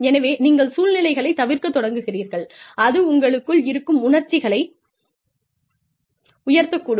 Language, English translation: Tamil, So, you start avoiding situations, that can invoke, emotions in you, that can elevate, the levels of stress